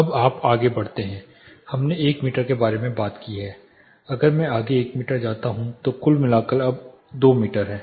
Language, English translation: Hindi, Now, you go ahead further we talked about 1 meter; if I go further way 1 meter so the total thing is 2 meters now